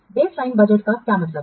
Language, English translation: Hindi, So, what is a baseline budget